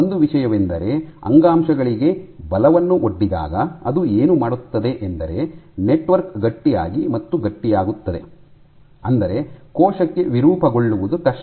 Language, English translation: Kannada, The point is in tissues when they are subjected to forces what this does is as the network becomes stiff and stiff; that means, that for the cell also it is difficult to deform